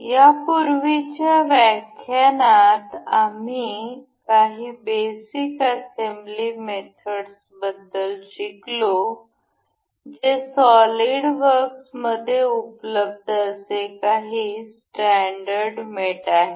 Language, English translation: Marathi, In the last lecture, we learned about some basic assembly methods that were some standard mates available in solid works